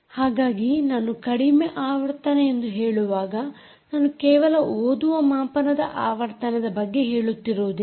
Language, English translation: Kannada, ok, so when i say low frequency, i just dont mean that it is about the reader frequency but indeed the system frequency